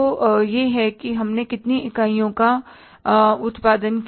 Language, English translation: Hindi, That is for how many units